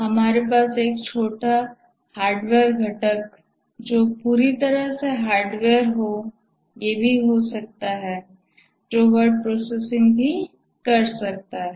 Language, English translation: Hindi, We can even have a small hardware component, entirely hardware, which can also do this word processing